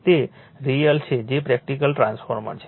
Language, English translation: Gujarati, That is yourreal that is your practical transformer